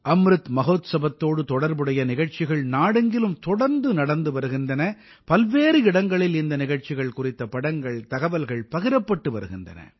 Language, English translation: Tamil, Programmes in connection with Amrit Mahotsav are being held throughout the country consistently; people are sharing information and pictures of these programmes from a multitude of places